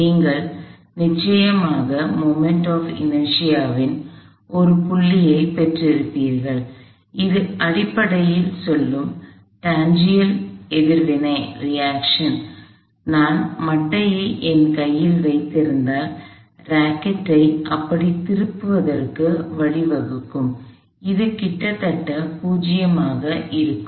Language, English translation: Tamil, But, you would certainly have a point at which the moment of inertia that which the tangential the reaction which is basically saying, if I was holding they are bat force in my hand that is it would cause the rocket tutorial like that, would be nearly 0